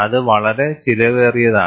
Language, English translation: Malayalam, That is too expensive